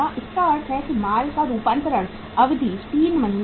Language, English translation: Hindi, It means finished goods conversion period is 3 months